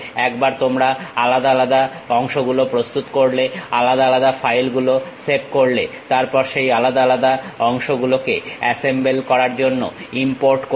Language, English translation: Bengali, One you prepare individual parts, save them individual files, then import those individual parts make assemble